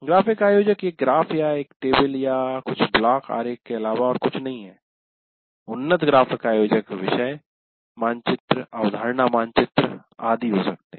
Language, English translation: Hindi, To say graphic organizer is nothing but a graph or a table or some kind of a block diagram, fairly simple, advanced graphic organizers, it could be, as I mentioned, it could be a topic map or it could be a concept map, etc